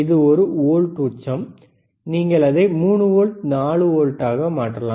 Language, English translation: Tamil, iIt is one volt peak to peak, you can change it to another see 3 volts, 4 volts